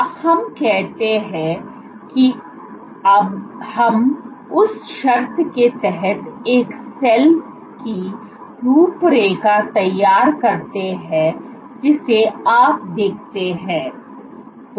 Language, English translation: Hindi, Now, let us say that we draw the outline of a cell under some condition if you see